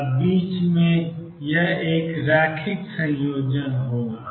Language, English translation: Hindi, And in between it will be a linear combination